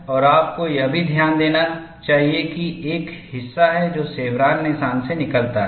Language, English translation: Hindi, And you should also note that, there is a portion which comes out of the chevron notch